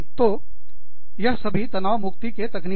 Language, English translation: Hindi, So, these are relaxation techniques